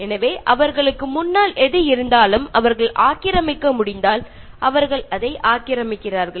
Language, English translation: Tamil, So, whatever is before them, if they can occupy, they occupy that